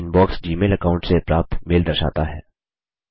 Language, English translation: Hindi, The Inbox shows mail received from the Gmail account